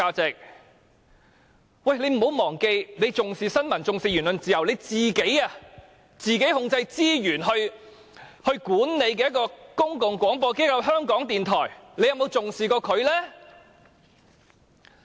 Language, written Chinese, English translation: Cantonese, 請她不要忘記，她說重視新聞和言論自由，但由她自己控制資源來管理的公共廣播機構——港台，她又曾否重視呢？, Let her not forget that when she said that she attached importance to news and the freedom of speech has she ever attached importance to the public broadcaster managed by her with resources under her control namely RTHK? . Let us come back to the estimate for RTHK this year